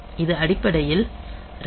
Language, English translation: Tamil, So, this is basically the ram space